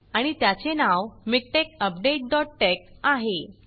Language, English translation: Marathi, And the file is called MikTeX update dot tex